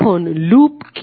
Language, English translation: Bengali, Now what is loop